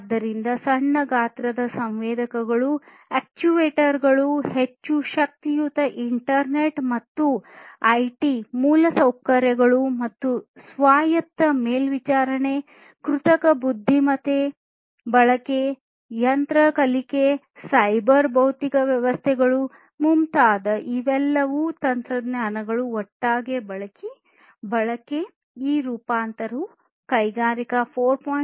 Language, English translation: Kannada, So, small sized, sensors, actuators, much more powerful internet and IT infrastructure everything together, connecting them together and autonomous monitoring, use of technologies such as artificial intelligence, machine learning, cyber physical systems, use of all of these together is basically how this transformation is happening in Industry 4